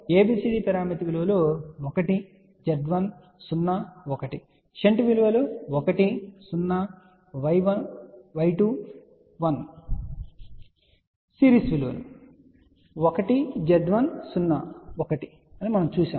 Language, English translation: Telugu, ABCD parameters are 1, Z 1, 0, 1; for shunt we had 1, 0, Y 2, 1; for series this 1, Z 1, 0, 1